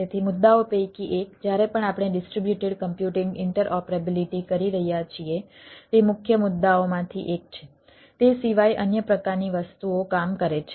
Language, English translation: Gujarati, so one of the issues whenever we are doing distributed computing, interoperability, right, one of the one of the major issues, other than it working another type of things